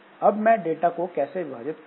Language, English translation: Hindi, Now, how do you split the data